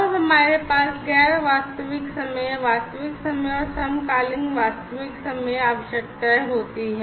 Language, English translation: Hindi, And, then we have so, we have the non real time real time, and then we have the isochronous real time requirements